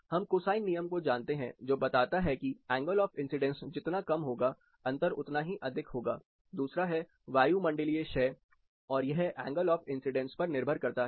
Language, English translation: Hindi, (Refer Slide Time: 20:01) We know the cosine law which states that the steeper the angle of incidence, the difference will be more, number two is the atmospheric depletion and again it is a factor of the angle of incidence